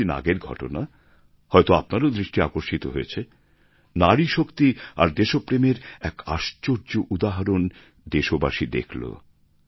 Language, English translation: Bengali, You might have noticed one recent incident, a unique example of grit, determination and patriotism that was witnessed by all countrymen